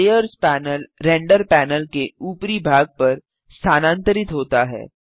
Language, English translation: Hindi, The layers panel moves to the top of the render panel